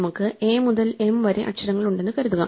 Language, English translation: Malayalam, Suppose, we have the letters a to m